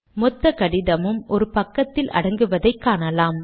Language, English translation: Tamil, You can see that the whole letter has come to one page